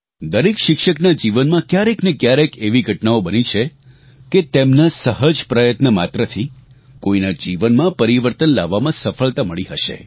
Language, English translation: Gujarati, In the life of every teacher, there are incidents of simple efforts that succeeded in bringing about a transformation in somebody's life